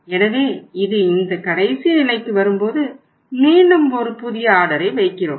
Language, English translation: Tamil, When it comes down to this level then we again place a new order